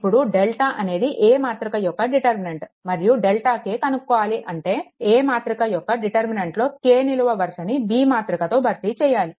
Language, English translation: Telugu, Now, if delta is the determinant of matrix and delta k is the determinant of the matrix formed by replacing the k th column of matrix A by B